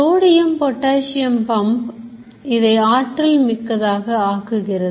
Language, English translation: Tamil, Sodium potassium pump manages it